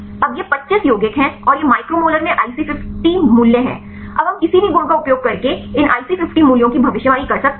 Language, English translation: Hindi, Now these are the 25 compounds and this is IC50 value in micromolar, now can we predict these IC50 values using any properties